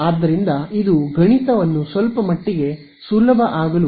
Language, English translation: Kannada, So, this just allows the math to become a little bit easier, we are ok